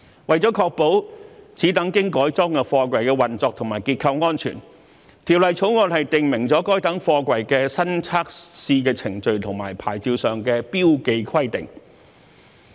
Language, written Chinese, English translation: Cantonese, 為了確保此等經改裝的貨櫃的運作和結構安全，《條例草案》訂明，該等貨櫃的新測試程序和牌照上的標記規定。, To ensure the operational and structural safety of these modified containers the Bill prescribes new testing procedures and marking requirements on the SAPs of such containers